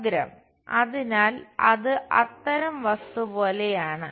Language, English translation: Malayalam, The edge, so it is more like such kind of object